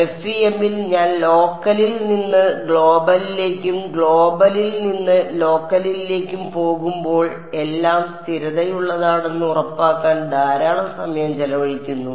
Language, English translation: Malayalam, So, in FEM lot of time is spent on making sure that when I go from local to global and global to local everything is consistent ok